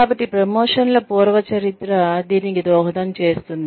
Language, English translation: Telugu, So, prior history of promotions, will contribute to this